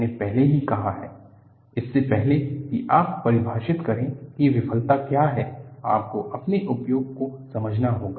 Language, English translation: Hindi, I have already said, before you define what failure is, you will have to understand your application